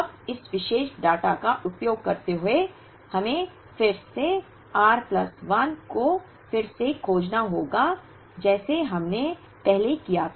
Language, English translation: Hindi, Now, using this particular data now, we have to again find r plus 1 by r like we did earlier